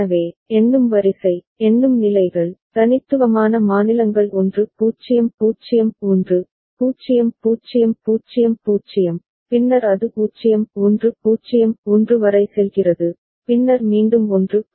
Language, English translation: Tamil, So, the counting sequence, counting states, unique states are 1 0 0 1, 0 0 0 0 and then it goes on up to 0 1 0 1 and then again it goes back to 1 0 0 1